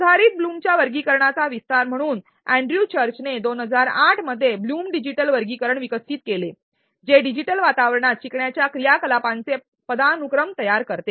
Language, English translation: Marathi, As an extension of the revised blooms taxonomy Andrew churches in 2008 developed blooms digital taxonomy which creates a hierarchy of learning activities in a digital environment